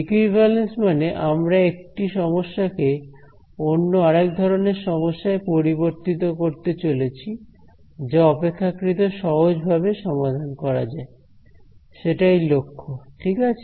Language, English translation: Bengali, So, equivalence means I am going to convert one problem to another kind of problem which may be easier to solve that is the objective ok